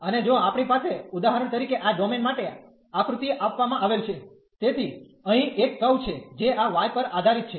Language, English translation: Gujarati, And if we have for example the domain given in this figure, so here there is a curve which depends on this y